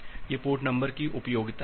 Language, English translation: Hindi, So, that is the usefulness of the port number